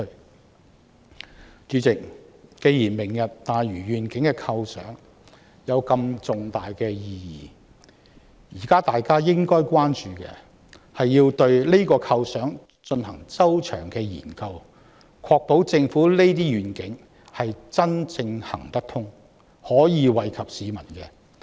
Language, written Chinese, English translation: Cantonese, 代理主席，既然"明日大嶼願景"有這麼重大的意義，現在大家應該關注的是對這個構想進行周詳的研究，確保政府這些願景真正可行，並惠及市民。, Deputy President in view of the profound and significance of the Lantau Tomorrow Vision now we ought to concern ourselves with the detailed study of this idea to ensure such a vision of the Government is truly feasible and beneficial to the people